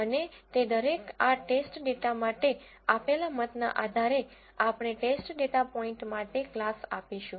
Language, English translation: Gujarati, And based on the voting that each of them will give for this test data, we will assign the class to the test data point